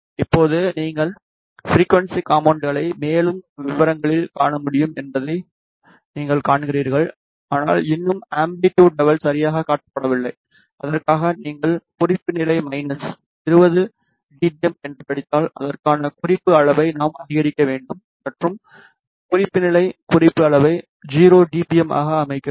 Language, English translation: Tamil, Now, you see that you can view the frequency component in more details, but still the amplitude level is not correctly shown, for that if you read the reference level is minus 20 dBm and we need to increase the reference level for that go to amplitude and reference level set the reference level as 0 dBm